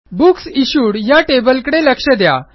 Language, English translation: Marathi, Let us look at the Books Issued table